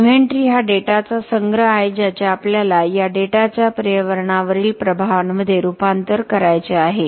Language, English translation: Marathi, The inventory is a collection of data we have to transform this data into impacts environmental impacts